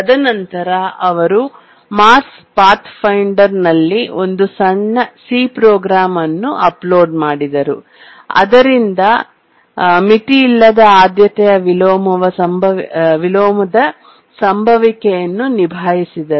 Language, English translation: Kannada, And then they uploaded a short C program onto the Mars Pathfinder and then the unbounded priority inversion that was occurring could be tackled